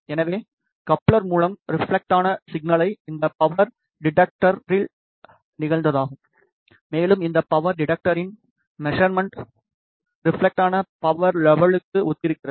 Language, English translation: Tamil, So, the reflected signal through the coupler is incident on this power detector and the measurement of this power detector corresponds to the reflected power level